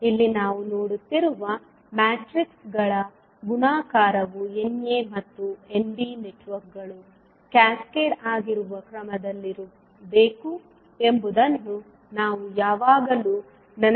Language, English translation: Kannada, One thing which we have to always keep in mind that multiplication of matrices that is we are seeing here must be in the order in which networks N a and N b are cascaded